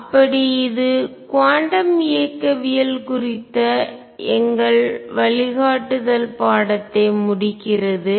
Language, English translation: Tamil, So, this concludes our course on quantum mechanics